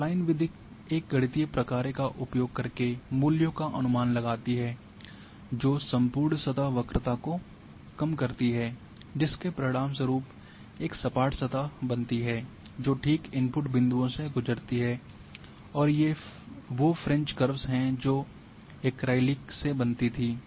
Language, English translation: Hindi, So, Spline method estimates values using a mathematical function that minimizes overall surface curvature resulting in a smooth surface that passes exactly through the input points and these use to be these french curves of made form acrylics